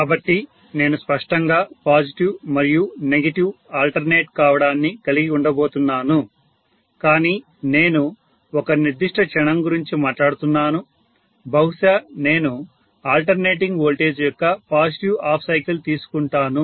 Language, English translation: Telugu, So I am going to have clearly the positive and negative alternating, but I am talking about one particular instant maybe let me call as the positive half cycle, during positive half cycle of the alternating voltage and essentially looking at this being positive